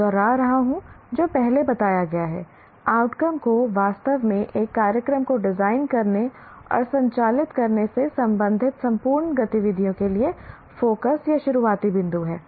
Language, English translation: Hindi, I am repeating what has been stated earlier just to reemphasize the outcomes really form the focus or starting point for the entire, all the activities related to designing and conducting a program